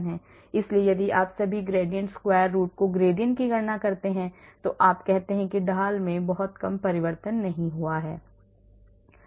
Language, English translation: Hindi, so you calculate the gradient all the gradient square root then you say there is not much change very little change in the gradient